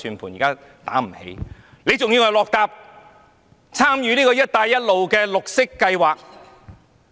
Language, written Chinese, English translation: Cantonese, 為何政府還要參與"一帶一路"的綠色計劃呢？, Why does the Government have to take part in the green projects under the Belt and Road Initiative?